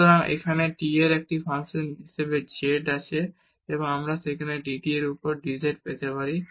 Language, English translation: Bengali, So, now we have z as a function of t and we can get dz over dt there